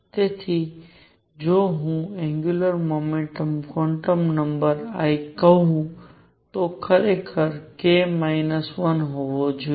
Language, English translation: Gujarati, So, if I call this angular momentum quantum number l, it should be actually k minus 1